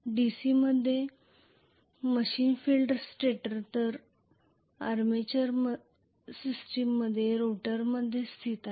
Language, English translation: Marathi, In a DC machine field is located in the stator whereas in the armature system is located in the rotor